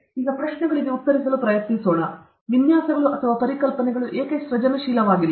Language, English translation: Kannada, Now, let’s try to the answer the questions why are designs or concepts not creative